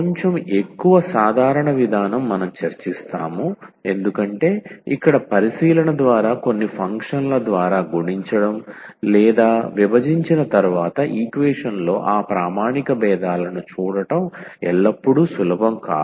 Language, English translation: Telugu, Slightly more general approach we will discuss because here by inspection it is not always easy to see the those standard differentials in the equation after multiplying or dividing by some functions